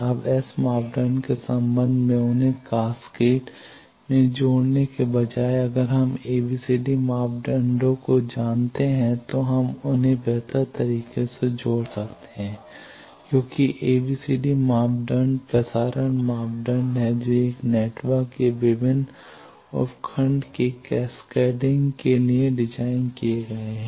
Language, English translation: Hindi, Now, while connecting instead of connecting them in cascade in terms of S parameter, if we know the ABCD parameter we can connect them better because ABCD parameters are transmission parameters are designed for cascading of various sub blocks of a network